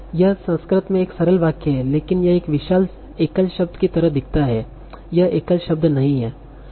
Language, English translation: Hindi, So let us say this is a single sentence in Sanskrit but this is a huge, this looks like a single word, but it's not a single word